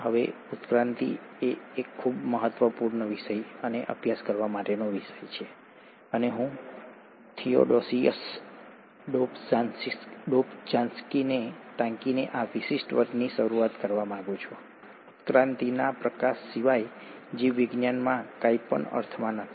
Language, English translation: Gujarati, Now, evolution is a very important subject and topic to study, and I would like to start this particular class by quoting Theodosius Dobzhansky, that “Nothing in biology makes sense except in the light of evolution”